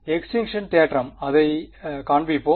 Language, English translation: Tamil, Extinction theorem; let us show right